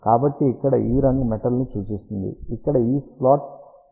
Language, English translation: Telugu, So, this colour here shows metal this one over here shows that is slot has been cut